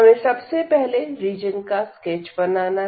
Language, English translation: Hindi, So, we have to first sketch the region as usual